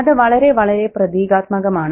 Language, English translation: Malayalam, You know, that's very, very symbolic as well